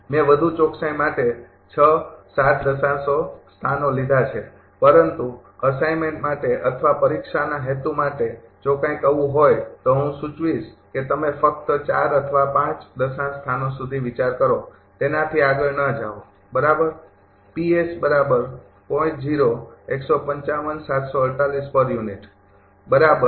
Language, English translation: Gujarati, I have taken up to 6 7 decimal places for more accuracy, but for assignment or for exam purpose if something like is there, I will suggest you consider only up to 4 or 5 decimal places, do not go beyond that right